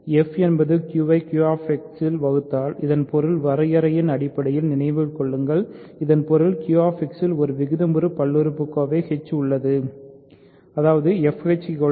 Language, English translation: Tamil, If f divides g in Q X remember this means by definition this means there exists a rational polynomial h in Q X such that f h is equal to g, right